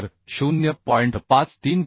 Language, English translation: Marathi, 53 right 0